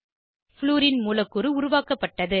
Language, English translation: Tamil, Fluorine molecule is formed